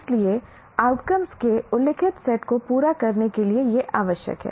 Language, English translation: Hindi, So it is required now to meet a stated set of outcomes